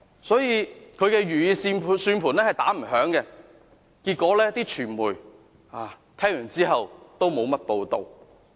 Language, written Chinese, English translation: Cantonese, 所以，他的如意算盤是打不響的，傳媒聽後也沒有多少報道。, Hence things did not turn out as he expected and the case failed to attract extensive coverage by the media